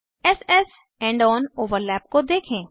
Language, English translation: Hindi, Lets start with s s end on overlap